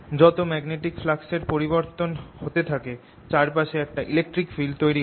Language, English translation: Bengali, as the magnetic flux changes it produces an electric field going around